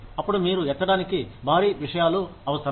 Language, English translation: Telugu, Then, you are required, to lift heavy things